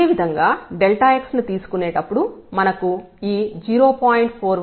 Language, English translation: Telugu, Similarly, while taking delta x we will get this 0